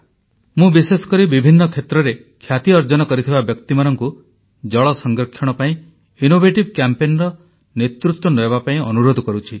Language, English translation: Odia, I specifically urge the luminaries belonging to different walks of life to lead promotion of water conservation through innovative campaigns